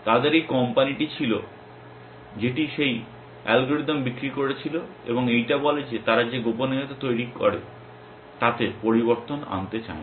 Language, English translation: Bengali, They had this company which was selling that algorithm and did not want to diverse this create secret that this say